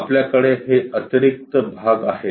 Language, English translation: Marathi, So, we have this extra portions